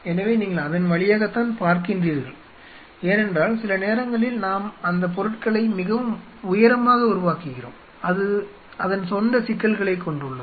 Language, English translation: Tamil, So, you just looked through it because sometimes we make those items pretty tall and it has it is own set of issues ok